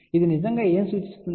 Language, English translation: Telugu, What it really implies